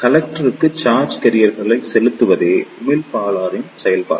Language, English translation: Tamil, The function of the emitter is to inject charge carriers into the collector